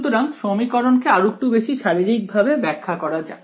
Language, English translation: Bengali, So, let us try to interpret this equation a little bit physically